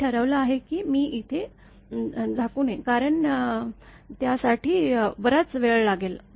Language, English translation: Marathi, I have decided I should not cover here because it will take long time